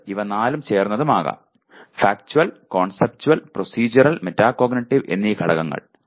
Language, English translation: Malayalam, And it can be all the four; Factual, Conceptual, Procedural, and Metacognitive elements